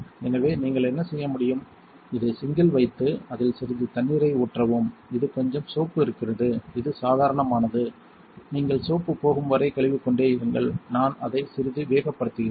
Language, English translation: Tamil, So, what you can do is put this in the sink and run some d I water in it you see it is a little soapy that is normal, you keep rinsing it until the soapiness goes away I am going to speed it up a little